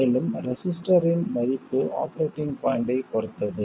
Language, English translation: Tamil, And the value of the register depends on the operating point